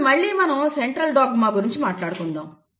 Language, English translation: Telugu, Now again I want to go back to Central dogma